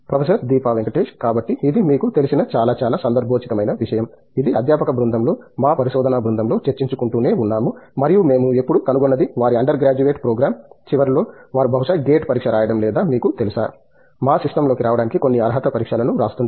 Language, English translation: Telugu, So, it’s a very, very relevant thing that you know, this is something that we keep discussing among our research group at the faculty group and what we have always found is at the end of their undergraduate program they are probably writing a gate exam or you know, some qualifying exam to get into our system